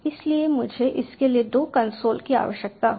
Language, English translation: Hindi, so i will need two consoles for this